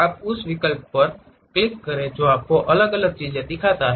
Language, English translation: Hindi, You click that option it shows you different things